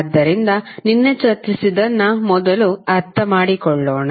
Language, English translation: Kannada, So, let us first understand what we discussed yesterday